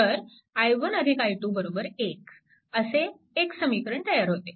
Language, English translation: Marathi, So, it will be i 1 plus i 2